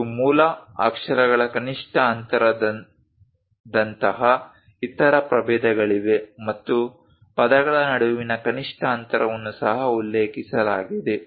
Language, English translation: Kannada, And there are other varieties like minimum spacing of base characters, and also minimum spacing between words are also mentioned